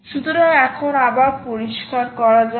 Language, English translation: Bengali, so lets clear this